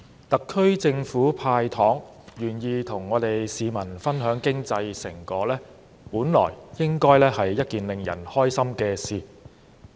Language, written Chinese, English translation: Cantonese, 特區政府"派糖"，願意和市民分享經濟成果，本來是令人開心的事。, It should be a happy thing that the SAR Government is willing to share the fruits of economic prosperity with the public and give away candies